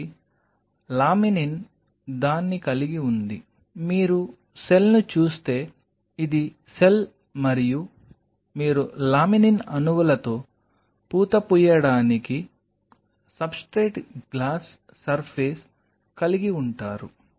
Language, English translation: Telugu, So, laminin has its, if you look at the cell this is the cell and you have a substrate glass surface on which you are coating it with laminin molecules